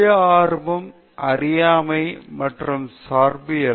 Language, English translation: Tamil, Self interest, ignorance, and relativism